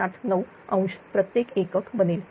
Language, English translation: Marathi, 79 degree per unit